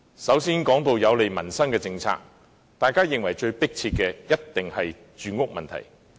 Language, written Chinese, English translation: Cantonese, 首先，在有利民生的政策方面，大家認為最迫切的一定是住屋問題。, First of all in respect of policies beneficial to the peoples livelihood we think that housing is definitely the most pressing problem